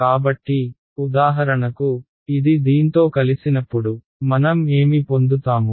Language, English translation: Telugu, So, for example, when this guy combines with this guy what will I get